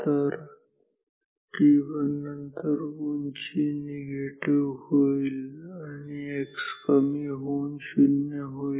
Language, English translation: Marathi, So, after t 1 height goes to minus negative x decreases to 0